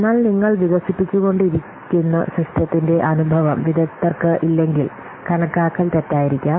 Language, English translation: Malayalam, But if the experts they don't have experience of the system that you are developing, then the estimation may be wrong